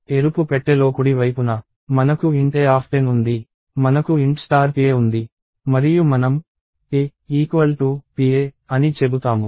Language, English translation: Telugu, On the right side in the red box, we have int a of 10, we have int star pa and we say ‘a’ equals ‘pa’